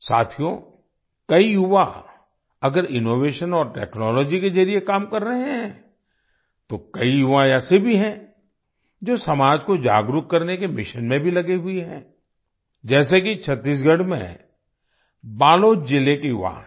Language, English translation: Hindi, Friends, if many youths are working through innovation and technology, there are many youths who are also engaged in the mission of making the society aware, like the youth of Balod district in Chhattisgarh